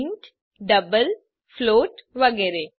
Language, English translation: Gujarati, int, double, float etc